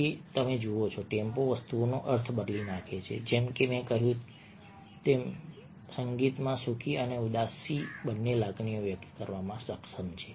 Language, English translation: Gujarati, so you see that a tempo changes the meaning of things, as i said, and you find that in music is capable of conveying both happy as well as sad emotions